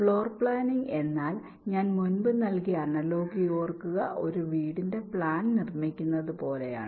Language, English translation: Malayalam, just to recall the analogy i gave earlier, it is like building the plan of a house